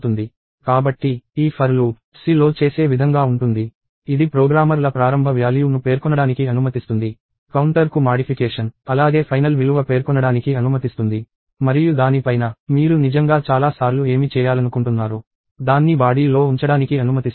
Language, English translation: Telugu, So, this for loop – the way C does; it lets the programmers specify an initial value, a modification to the counter as well as a final value; and on top of that, it also lets you put in a body or what you would really want to do so many times